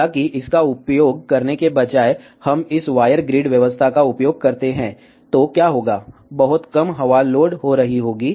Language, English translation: Hindi, However, instead of using this if we use this wire grid arrangement, then what will happen, there will be very small wind loading